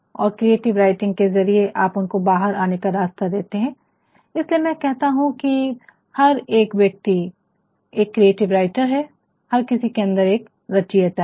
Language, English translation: Hindi, And, through creative writing you are providing a sort of outlet, that is why I say every man is a creative writer, within every man there is a creator fine